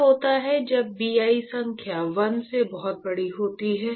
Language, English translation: Hindi, What happens when Bi number is much larger than 1